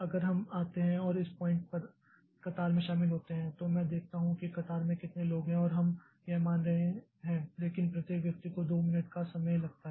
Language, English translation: Hindi, So, if we come and join the queue at this point, so I see how many people are there in the queue and assuming that but each person takes a two minute time